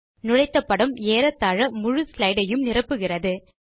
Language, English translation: Tamil, Notice that the inserted picture covers almost the whole slide